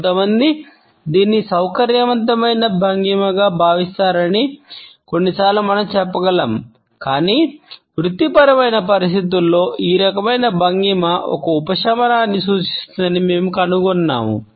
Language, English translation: Telugu, Sometimes we can also say that some people find it a comfortable posture, but in professional situations we find that this type of a posture indicates a subservience